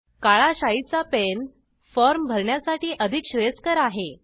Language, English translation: Marathi, It is preferable to use a pen with black ink to fill the form